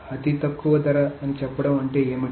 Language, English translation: Telugu, Now what does it mean to say the lowest cost